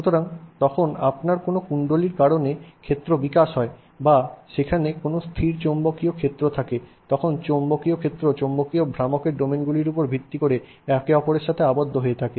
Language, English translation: Bengali, So, when you have a field developing because of a coil or there is a static magnetic field there, that magnetic field is based on domains of the magnetic moments lining up with each other